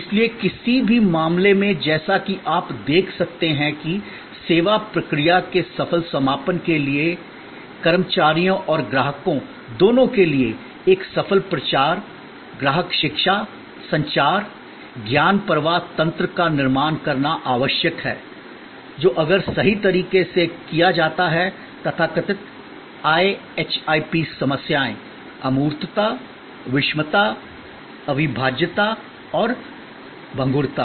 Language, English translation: Hindi, So, in either case as you can see that for successful completion of service process, it is essential to create a successful promotion, customer education, communication, knowledge flow mechanism, for both employees and for customers, which if done correctly will take care of the so called IHIP problems, the intangibility, the heterogeneity, inseparability and perishability